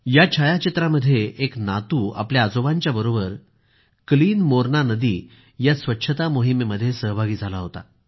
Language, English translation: Marathi, The photo showed that a grandson was participating in the Clean Morna River along with his grandfather